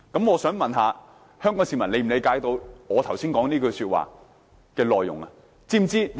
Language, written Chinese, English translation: Cantonese, 我想問香港市民能否理解我剛才所說的情況呢？, May I ask whether the public understand the condition I have just explained?